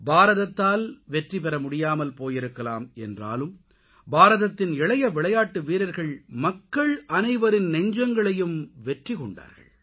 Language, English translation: Tamil, Regardless of the fact that India could not win the title, the young players of India won the hearts of everyone